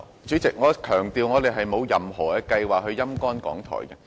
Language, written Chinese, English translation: Cantonese, 主席，我強調我們並沒有任何計劃"陰乾"港台。, President let me stress that we do not have any plan to sap RTHK dry